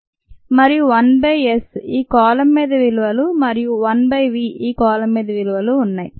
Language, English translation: Telugu, yes, we have one by s the values on this column, and one by v, the values on this column